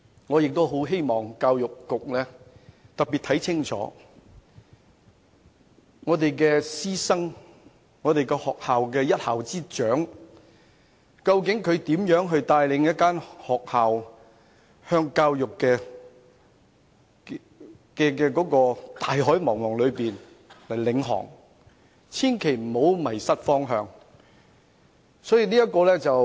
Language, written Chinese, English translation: Cantonese, 我希望教育局要特別看清楚我們師生的情況，而一校之長究竟又是如何帶領一間學校在教育的大海中航行，希望他們千萬不要迷失方向。, I hope that the Education Bureau will look closely into how our teachers and students are behaving today and how school principals navigate their schools in the vast sea of education . I hope that they will never lose their way in the course